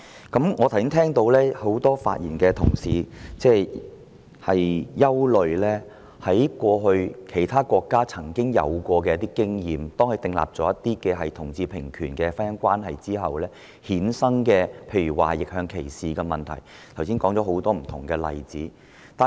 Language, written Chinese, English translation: Cantonese, 剛才聽到很多發言的同事均憂慮到按照其他國家的過往經驗，訂立同志平權婚姻關係的政策後會衍生若干問題，例如逆向歧視，他們並舉出很多不同例子以作說明。, Many fellow colleagues who spoke just now were concerned that based on past experiences in other countries the formulation of policies on same - sex marriage would lead to a lot of problems such as reverse discrimination and they have cited many different examples to illustrate their points